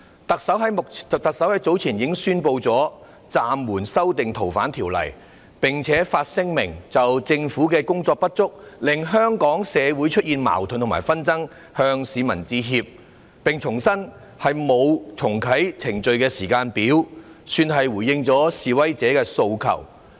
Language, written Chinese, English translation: Cantonese, 特首早前已經宣布暫緩修訂《逃犯條例》，並發聲明就政府工作的不足令香港社會出現矛盾和紛爭，向市民致歉，重申沒有重啟程序的時間表，算是回應了示威者的訴求。, Some time ago the Chief Executive announced putting on hold the exercise of amending FOO and issued a statement to apologize to the public for causing conflicts and disputes in Hong Kong society due to the inadequacies in the Governments efforts and reiterated that there is no timetable for reactivating the process so it can be said that protesters demands have been addressed